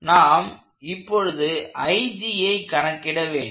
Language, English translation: Tamil, Now we need to compute this IG